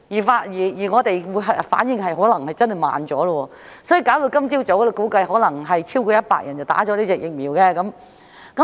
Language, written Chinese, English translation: Cantonese, 香港的反應可能真的是稍慢了，以致今早估計或有超過100人接種了這款疫苗。, Hong Kong might really be a bit slow in its response with the result that over 100 people had probably been injected with this vaccine this morning